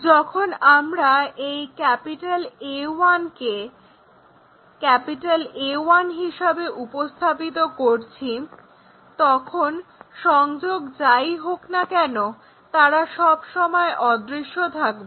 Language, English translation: Bengali, When we are representing this A 1 to A 1 whatever connection, that is always be invisible